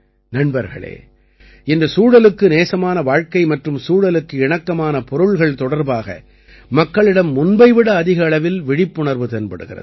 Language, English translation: Tamil, Friends, today more awareness is being seen among people about Ecofriendly living and Ecofriendly products than ever before